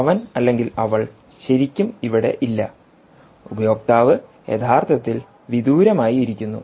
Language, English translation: Malayalam, he or she is not really here, the the user is actually sitting remotely